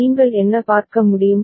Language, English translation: Tamil, And what what you can see